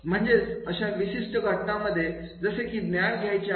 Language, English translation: Marathi, That is in that particular case, that is to acquire the knowledge